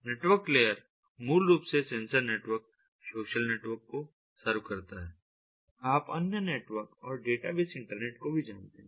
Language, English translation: Hindi, basically, ah serves sensor networks, social networks, you know different other networks and data bases, internet and so on